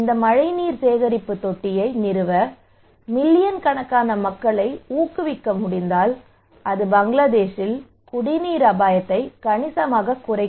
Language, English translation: Tamil, So if we can able to encourage millions of people to install this rainwater harvesting tank, then it will be significantly reduce the drinking water risk in Bangladesh